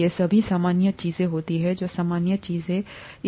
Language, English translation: Hindi, These are all usual things that happen, the normal things that happen